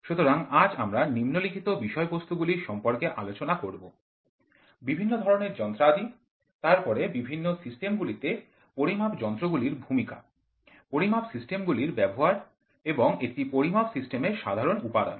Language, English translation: Bengali, So, today we will be covering the following content; types of instruments, then role of the instruments in measuring measurement systems, applications of measurement systems and elements of a generalized measurement system